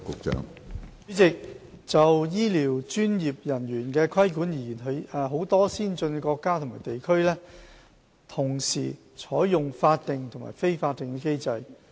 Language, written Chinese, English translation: Cantonese, 主席，就醫療專業人員的規管而言，許多先進國家或地區同時採用法定和非法定的機制。, President many developed countries or regions adopt both statutory and non - statutory mechanisms to regulate health care professionals